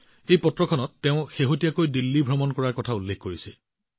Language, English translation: Assamese, In this letter, she has mentioned about her recent visit to Delhi